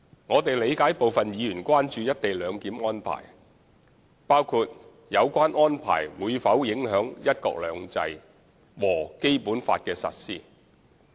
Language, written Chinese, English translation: Cantonese, 我們理解部分議員關注"一地兩檢"安排，包括有關安排會否影響"一國兩制"和《基本法》的實施。, We understand that some Members are concerned about co - location arrangement including whether the arrangement would affect the implementation of one country two systems and the Basic Law